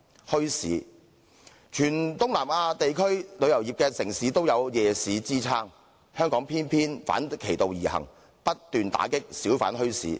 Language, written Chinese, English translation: Cantonese, 墟市方面，全東南地區的旅遊城市也有夜市支撐，香港偏偏反其道而行，不斷打擊小販墟市。, As regards bazaars while all tourist cities in Southeast Asia have night markets Hong Kong acts in a diametrically opposite way by constantly cracking down on hawker bazaars